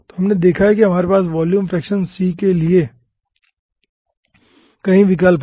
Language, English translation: Hindi, so which we have seen that we are having several options for volume fraction c